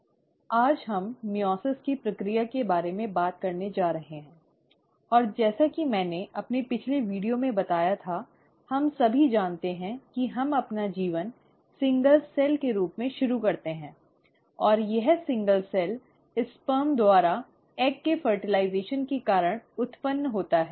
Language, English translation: Hindi, Now today we are going to talk about the process of meiosis, and as I had mentioned in my previous video, we all know that we start our life as a single cell, and this single cell arises because of the fertilization of egg by a sperm